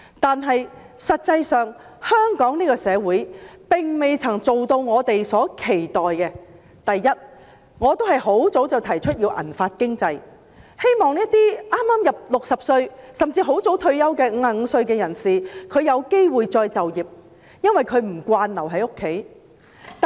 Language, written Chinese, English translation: Cantonese, 不過，香港社會實際上並未做到我們所期待的幾點：第一，我很早便已提出建立"銀髮經濟"，希望讓剛踏入60歲、甚至在55歲便很早退休的人士有機會再就業，因為他們不習慣留在家中。, However Hong Kong society has yet to achieve several expectations held by us First I have proposed to build up a silver hair economy a long time ago hoping that those who have just stepped into their sixties or even those who have taken early retirement at the age of 55 would have the opportunity to be engaged in re - employment because they are not accustomed to staying at home